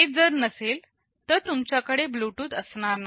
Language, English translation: Marathi, So, if it is not there in the first place, you cannot have Bluetooth